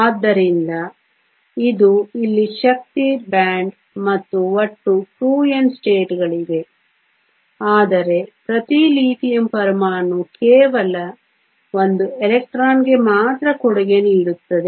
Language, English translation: Kannada, So, this is the energy band here and there are a total of 2N states but each Lithium atom will only contribute one electron